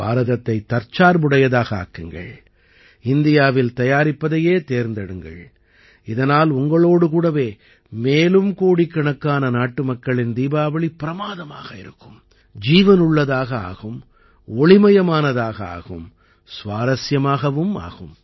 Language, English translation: Tamil, Make India selfreliant, keep choosing 'Make in India', so that the Diwali of crores of countrymen along with you becomes wonderful, lively, radiant and interesting